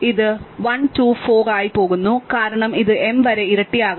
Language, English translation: Malayalam, It goes 1, 2, 4 because it keeps doubling up to m, right